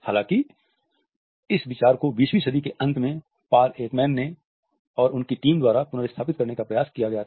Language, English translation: Hindi, However, this idea was taken up in the late 20th century by Paul Ekman and his team